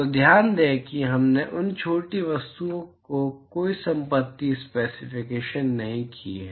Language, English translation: Hindi, So, note that we have not specified any property of those small objects